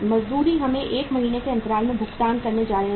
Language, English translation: Hindi, Wages we are going to pay at the lag of 1 month